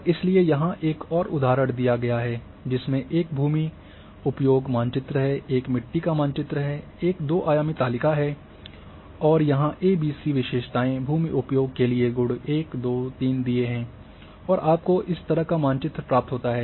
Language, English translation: Hindi, And so that another example is given here that there is a land use map, there is a soil map, there is a two dimensional table and here the attributes are A B C another attributes for land use are 1 2 3 and you end up with this similar kind of map